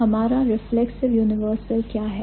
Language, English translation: Hindi, And what is our reflexive universal